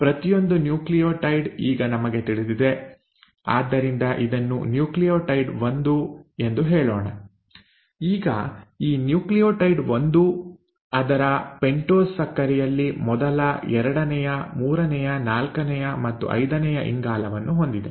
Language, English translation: Kannada, Now we know that each nucleotide, so let us say this is nucleotide 1; now this nucleotide 1 in its pentose sugar has the first, the second, the third, the fourth and the fifth carbon